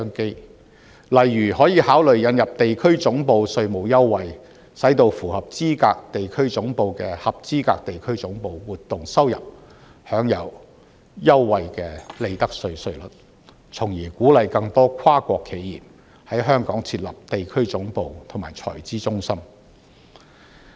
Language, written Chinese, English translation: Cantonese, 舉例來說，當局可以考慮引入地區總部稅務優惠，使到符合資格地區總部的合資格地區總部活動收入，享有優惠的利得稅稅率，從而鼓勵更多跨國企業在香港設立地區總部及財資中心。, For instance the authorities may consider introducing tax concessions on regional headquarters so that income from eligible regional headquarters activities of eligible regional headquarters will be entitled to a concessionary profits tax rate . This will encourage more multinational corporations to set up their regional headquarters and treasury centres in Hong Kong